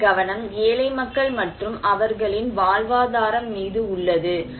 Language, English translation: Tamil, Their focus is like one poor people and their livelihood